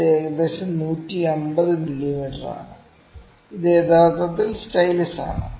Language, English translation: Malayalam, This is about 150 mm, ok; this is actually stylus